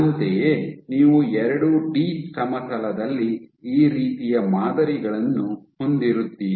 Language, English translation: Kannada, Similarly, you will have this kind of patterns on a 2 D plane